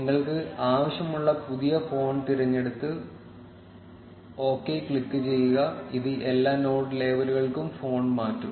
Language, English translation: Malayalam, Select the new font, which you want, and click on ok, this will change the font for all the node labels